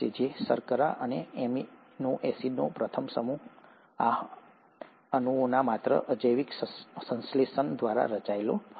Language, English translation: Gujarati, So the first set of sugars or amino acids would have been formed by a mere abiotic synthesis of these molecules